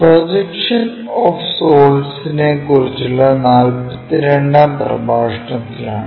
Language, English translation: Malayalam, We are at lecture number 42 learning about Projection of Solids